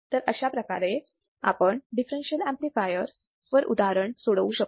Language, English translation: Marathi, So, this is how we can solve the problem for the differential amplifier